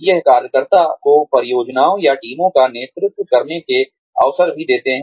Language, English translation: Hindi, It also gives the worker, opportunities to lead, projects or teams